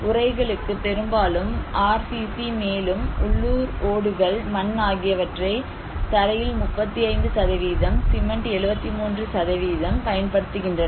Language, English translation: Tamil, Roof; mostly RCC but also people use local tiles, mud, 35 % for the floor, cement 73%